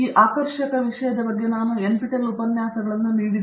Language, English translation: Kannada, I have also given NPTEL lectures on this fascinating subject